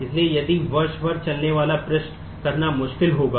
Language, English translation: Hindi, So, if queries which run across year will be difficult to do